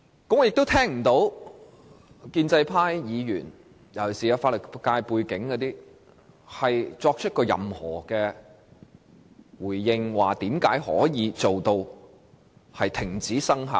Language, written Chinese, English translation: Cantonese, 我聽不到建制派尤其是有法律界背景的議員作出任何回應，說明如何令《公約》停止生效。, I have not heard any response from the pro - establishment camp especially from Members with legal background explaining how ICCPR can be terminated